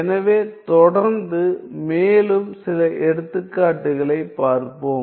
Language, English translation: Tamil, So, let us continue and look at some more examples